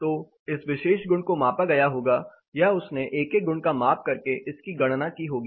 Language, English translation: Hindi, So, this particular property might have been measured or he would have measured individual properties and computed it